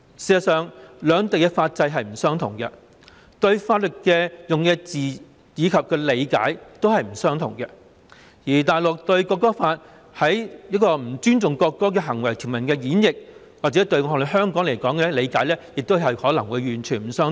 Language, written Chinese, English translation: Cantonese, 事實上，兩地的法制並不相同，法律所使用的字眼及對法律的理解亦不相同，而大陸對《國歌法》條文中不尊重國歌行為的演繹，與香港的理解亦可能完全不相同。, In fact the legal systems of the two places are different and the legal terms and understanding of laws are also different . Regarding the provisions of the National Anthem Law Mainlands interpretation of the behaviours which are disrespectful to the national anthem may be completely different from that of Hong Kong